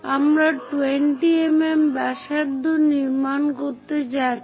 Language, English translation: Bengali, We are going to construct a radius of 20 mm